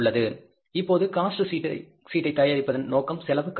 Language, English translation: Tamil, Now, purpose of preparing the cost sheet is cost control